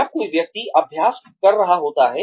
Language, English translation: Hindi, When a person is practicing